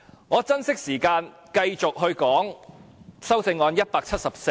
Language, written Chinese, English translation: Cantonese, 我珍惜時間，繼續就修正案編號174發言。, I will not waste time and I will now continue with Amendment No . 174